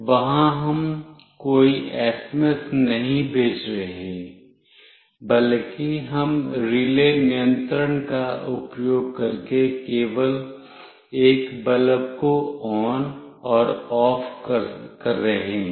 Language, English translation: Hindi, There we are not sending any SMS, rather we are just switching ON and OFF a bulb using relay control